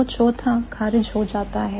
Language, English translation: Hindi, So, the fourth type is ruled out